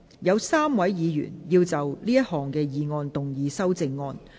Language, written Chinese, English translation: Cantonese, 有3位議員要就這項議案動議修正案。, Three Members wish to move amendments to this motion